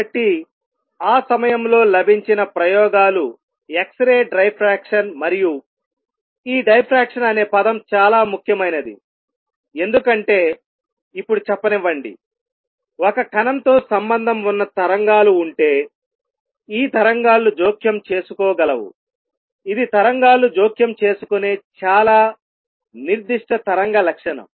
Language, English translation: Telugu, So, the experiments that were available that time was x ray diffraction, and this word diffraction is important because let me now say, if there are waves associated with a particle, these waves can interfere, that is a very specific wave property that waves interfere